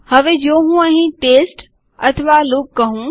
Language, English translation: Gujarati, Now if I say test or loop here